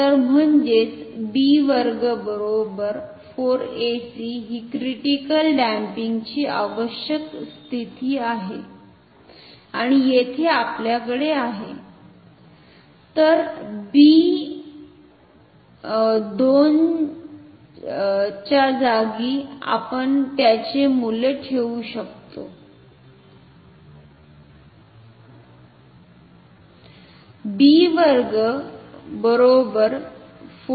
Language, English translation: Marathi, So; that means, b square equal to 4 ac is the desired condition critical damping and here we will have , so, in place of b square we can put the value of this